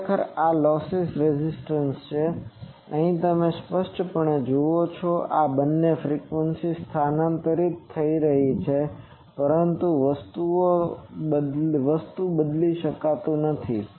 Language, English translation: Gujarati, So, this is actually the loss resistance Lr ok, here you see obviously these two frequencies are getting shifted but that does not change the thing